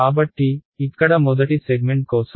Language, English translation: Telugu, So, for the first segment over here